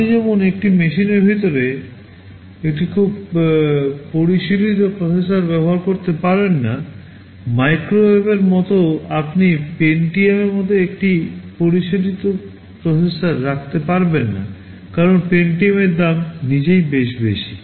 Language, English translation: Bengali, You cannot afford to use a very sophisticated processor inside such a machine; like inside a microwave you cannot afford to put a sophisticated processor like the Pentium, because the cost of the Pentium itself is pretty high